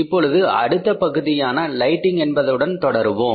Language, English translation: Tamil, Now we will proceed further with the next part is the lighting